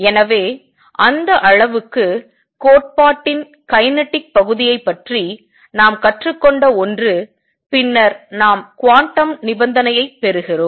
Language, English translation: Tamil, So, that much is something that we have learned about the kinematic part of the theory, and then we obtain the quantum condition